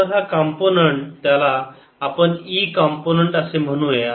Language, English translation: Marathi, so this component, let's call it e component